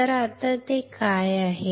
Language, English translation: Marathi, So, now, what is that